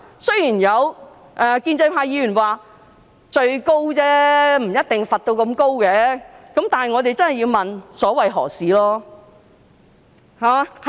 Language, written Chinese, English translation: Cantonese, 雖然有建制派議員說這只是最高罰則，不一定被罰到最高程度。但是，我們真的要問所為何事？, Although some pro - establishment Members said that this is only the maximum penalty and that an offender may not necessarily receive the highest punishment we really must ask what objective the Government wishes to achieve